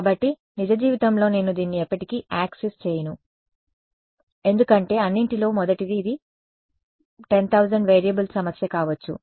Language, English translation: Telugu, So, in real life I will never have access to this because first of all it will be a may be a 10000 variable problem